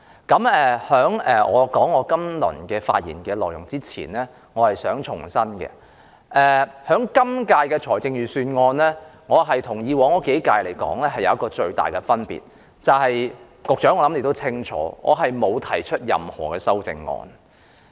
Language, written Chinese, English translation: Cantonese, 在開始發言前，我想重申，對於今年的財政預算案，我的處理方法有別於以往數年，其中一個最大的分別是我沒有提出修正案。, Before I begin my speech I reiterate that my approach to this years Budget is different from my approach in the past few years; and one of the biggest differences is that I have not proposed any amendment this year